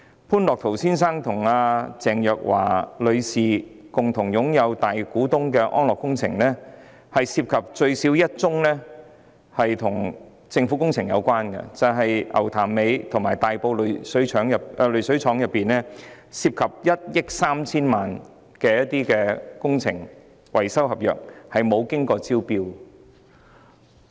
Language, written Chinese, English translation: Cantonese, 潘樂陶先生與鄭若驊女士都是安樂工程集團的大股東，該集團最少有1宗工程與政府有關，就是牛潭尾濾水廠和大埔濾水廠涉及1億 3,000 萬元的工程維修合約，但沒有經過招標。, Both Mr Otto POON and Ms Teresa CHENG are major shareholders of Analogue Holdings . The Holdings has at least one project related to the Government which is a contract of 130 million involving maintenance works at the Ngau Tam Mei Water Treatment Works and the Tai Po Water Treatment Works . However no tendering had been conducted